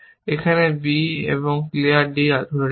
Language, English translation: Bengali, Now, you are holding b and clear d